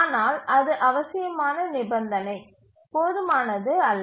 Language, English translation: Tamil, But that was a necessary condition, not a sufficient one